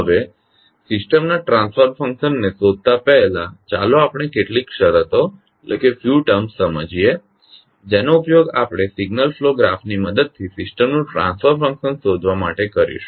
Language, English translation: Gujarati, Now, before going into finding out the transfer function of a system let us understand few terms which we will use for finding out the transfer function of the system using signal flow graph